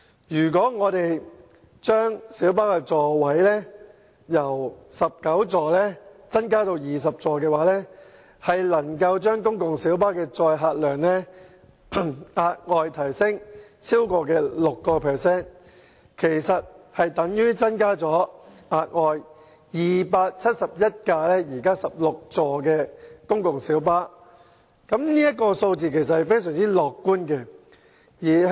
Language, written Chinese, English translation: Cantonese, 如果把小巴座位數目由19個增加至20個，公共小巴的載客量將可額外提升超過 6%， 相當於額外增加了271部16座位的公共小巴，而這數字是非常樂觀的。, If the number of seats in light buses is increased from 19 to 20 the carrying capacity can be increased by more than 6 % which is equivalent to the carrying capacity provided by an extra 271 light buses with 16 seats . That is a very positive figure